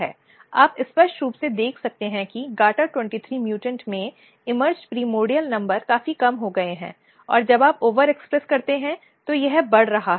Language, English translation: Hindi, You can see clearly that in gata23 mutant, the emerged primordial numbers are significantly reduced and when you overexpress it is getting increased